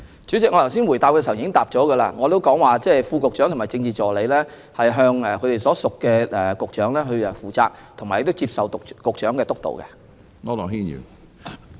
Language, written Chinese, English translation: Cantonese, 主席，我剛才答覆時表示，副局長和政治助理要向所屬局長負責及接受局長的督導。, President I have said in my reply just now that Deputy Directors of Bureau and Political Assistants report to and are supervised by their respective Directors of Bureau